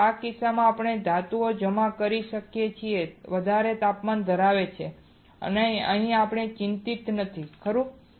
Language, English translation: Gujarati, So, in this case we can we can deposit a metal which is of higher temperature here we are not worried right